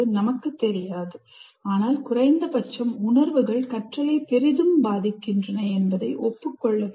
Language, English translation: Tamil, We do not know, but at least you have to acknowledge emotions greatly influence learning